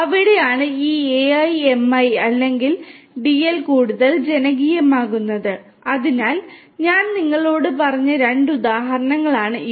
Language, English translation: Malayalam, And that is where this AI, ML, or DL are becoming even more popular So, these are 2 examples that I told you